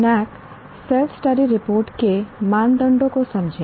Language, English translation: Hindi, Understand the criteria of NAAC self study report